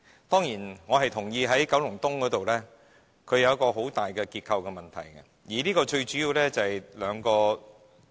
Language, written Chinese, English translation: Cantonese, 當然，我認同九龍東有很大的結構問題，最主要原因有兩個。, Of course I agree that there is a significant structural problem in Kowloon East mainly due to two reasons